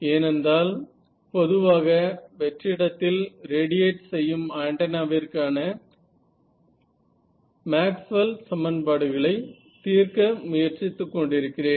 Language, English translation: Tamil, Because I am trying to solve Maxwell’s equation for an antenna usually radiating in free space